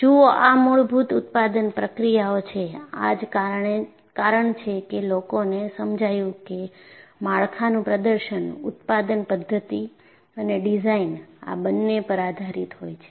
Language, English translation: Gujarati, See, these are basic manufacturing processes; see, this is the reason people realized the performance of a structure depends, both on the manufacturing methodology and the design